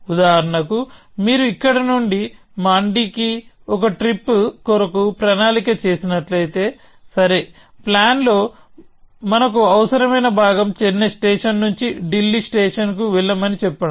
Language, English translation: Telugu, So, for example, if you are planning a trip from here to Mandy, then you might say, okay, our necessary part of the plan is to somehow get from let us say Chennai station to Delhi station; let us say you are going by train